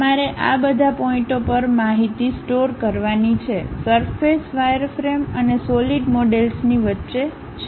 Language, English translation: Gujarati, You have to store information at all these points, surface is in between wireframe and solid models